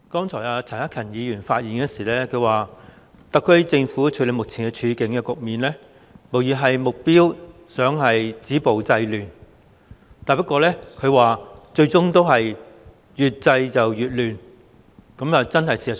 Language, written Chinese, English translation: Cantonese, 主席，陳克勤議員剛才發言時說，特區政府處理目前的局面，無疑旨在止暴制亂，不過最終卻越制越亂，這確是事實。, President Mr CHAN Hak - kan said earlier in his speech that the SAR Governments handling of the current situation was undoubtedly aimed at stopping violence and curbing disorder but it eventually resulted in exacerbation of the disorder . This is indeed true